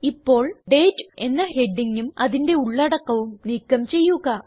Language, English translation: Malayalam, Now, let us delete the heading Date and its contents